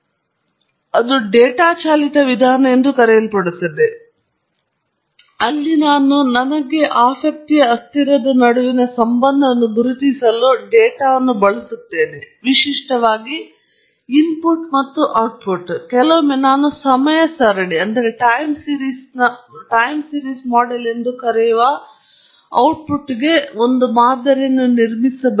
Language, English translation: Kannada, And it’s also called a data driven approach, where I will use the data to identify the relationship between the variables of interest; typically, the input and output and so on or sometimes only to build a model for the output which we call as a time series model